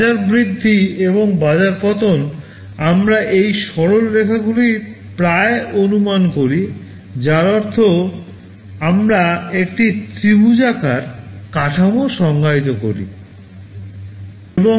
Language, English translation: Bengali, Market rise and market fall we approximate it straight lines that means we define a triangular structure